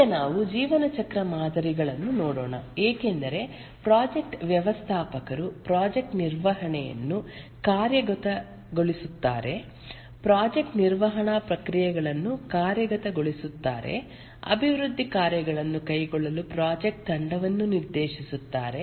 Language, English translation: Kannada, Now let's look at the lifecycle models because the project manager executes the project management the project management processes to direct the project team to carry out the development work